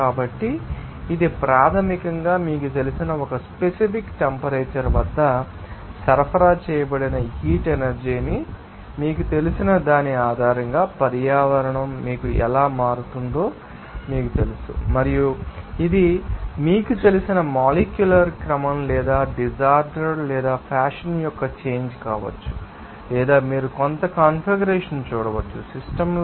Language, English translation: Telugu, So, this basically a you know that, how that systems you know environment will be changing based on that you know heat energy supplied at a particular temperature and this may change of you know, molecular order or disorder or fashion or you can see some configuration of the systems